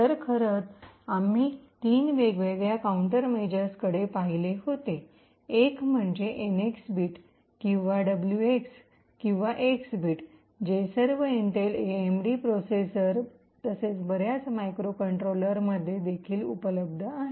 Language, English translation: Marathi, So, in fact we had looked at three different countermeasures one is the NX bit or the WX or X bit which is present in all Intel AMD processors as well as many of the microcontrollers as well